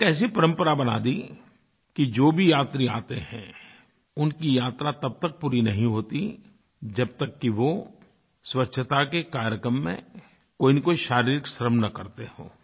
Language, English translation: Hindi, And, he began a tradition that the yatra of devotees will remain incomplete if they do not contribute by performing some physical labour or the other in the cleanliness programme